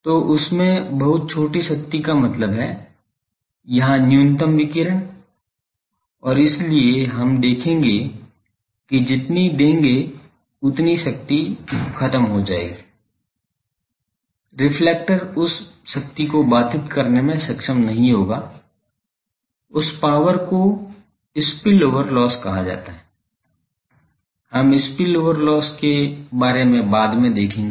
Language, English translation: Hindi, So, and very small power in this that means, minimum here radiating and so, we will see that that we will give that many power will be lost, the reflector would not be able to intercept that power that is called spill over loss; we will come later to spill over loss